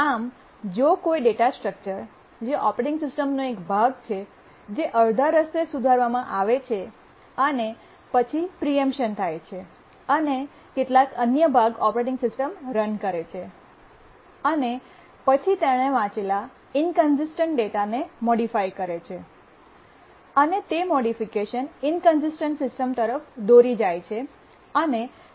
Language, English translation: Gujarati, So if a data structure is part of the operating system that is modified halfway and then there is a preemption and some other part the operating system runs and then modifies this data inconsistent data it reads and modifies then it will lead to an inconsistent system and can cross the system